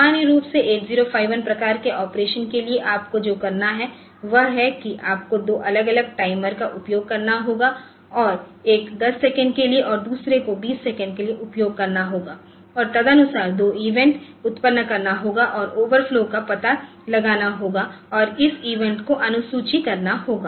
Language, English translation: Hindi, So, in normal 8051 type of operation so, what you have to do is you have to use 2 different timers and then one for 10 second and another for 20 second and accordingly generate 2 events and get the overflows detected and schedule those events